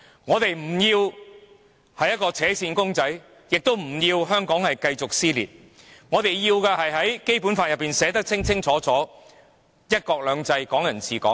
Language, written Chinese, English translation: Cantonese, 我們不要扯線公仔，亦不想見到香港繼續撕裂；我們想要的，是《基本法》清楚訂明的"一國兩制"和"港人治港"。, We do not want a string puppet; nor do we want to see continued dissension in Hong Kong . What we want is one country two systems and Hong Kong people administering Hong Kong as stipulated clearly in the Basic Law